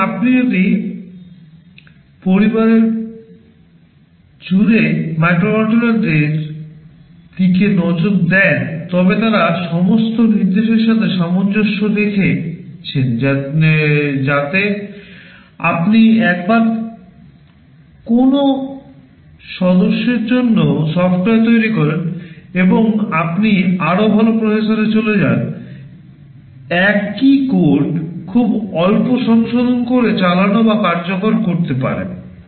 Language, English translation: Bengali, Now, if you look at the microcontrollers across the family they are all instruction set compatible so that once you develop software for one member of the family, and you move to a better processor, the same code can run or execute with very little modification